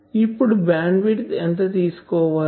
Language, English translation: Telugu, Now, what is bandwidth definition